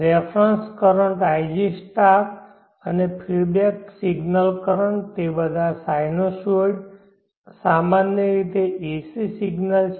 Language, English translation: Gujarati, The reference current ig* and the feedback signal current they are all sinusoids AC signals in general